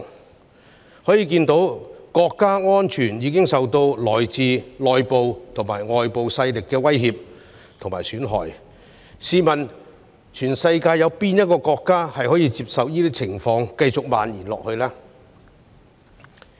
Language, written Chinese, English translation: Cantonese, 由此可見，國家安全已受到來自內部及外部勢力的威脅和損害，試問世界上有哪一個國家可容許這些情況繼續蔓延下去呢？, From this we can see that national security has been threatened and undermined by both internal and external forces . Which country in the world would allow such a situation to go on may I ask?